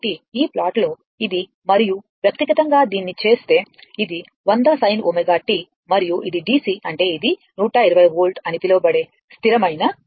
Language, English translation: Telugu, This plot is this one and individually if you make it, this is 100 sin omega t and this is the DC means is the constant line this is 120 volt is mentioned